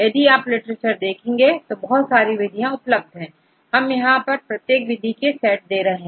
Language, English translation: Hindi, If you look into the literature there are so many methods available, here I list of each set of methods